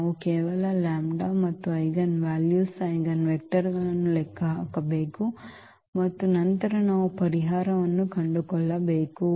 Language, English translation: Kannada, We need to just compute the lambdas and the eigenvalues eigenvectors and then we can find a solution